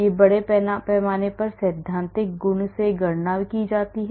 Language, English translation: Hindi, This is mass spectrum theoretically calculated